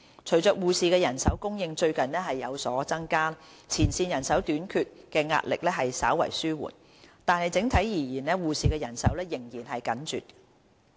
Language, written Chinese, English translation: Cantonese, 隨着護士人手供應最近有所增加，前線人手短缺的壓力稍為紓緩，但整體而言，護士的人手仍然緊絀。, With a recent increase in the supply of nursing manpower the shortage of frontline staff has been relieved slightly . However the supply of nursing manpower is still tight on the whole